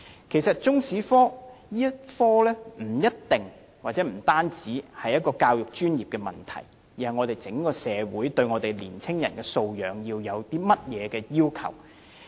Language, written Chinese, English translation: Cantonese, 其實如何教授中史科不一定亦不單是一個教育專業問題，而是關乎香港整個社會對年青人素養的要求。, Actually how Chinese history should be taught is not necessarily nor solely an issue concerning the education profession; rather it is concerned with the requirement of Hong Kong societys on young peoples accomplishments